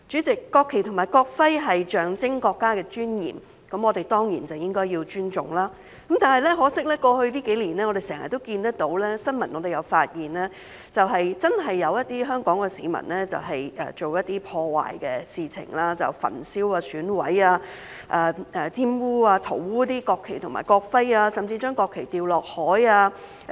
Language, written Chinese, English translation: Cantonese, 國旗及國徽象徵國家尊嚴，我們當然應該尊重，但很可惜在過去幾年，我們經常看到，並在新聞報道中發現，確實有些香港市民做了一些破壞的事情，例如焚燒、損毀、玷污及塗污國旗及國徽，甚至把國旗扔下海。, The national flag and national emblem certainly deserve our respect because they symbolize the dignity of our country . Unfortunately however in the past few years we have often seen and found in news reports that some members of the public in Hong Kong have indeed committed some destructive acts on the national flag and national emblem such as burning mutilating defiling and scrawling on them and even throwing the national flag into the sea